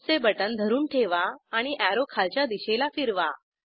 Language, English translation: Marathi, Hold the mouse and rotate the arrow to point downwards